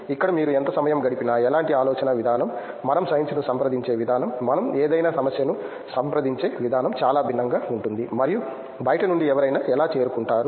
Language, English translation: Telugu, Here no matter how much time you have spent, the kind of thinking, the way we approach science, the way we approach any problem is very different and how somebody from outside approaches